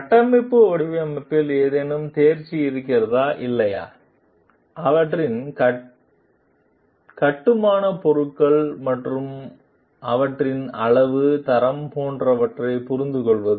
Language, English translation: Tamil, Is there any proficiency in structural design or not; understanding of their building materials and their quantity, quality like the